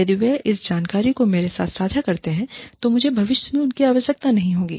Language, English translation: Hindi, If they share that information with me, then I will not need them, in the future